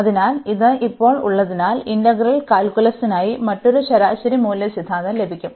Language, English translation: Malayalam, So, having this now we get another mean value theorem for integral calculus